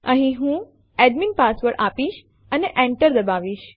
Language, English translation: Gujarati, I will give the Admin password here and Enter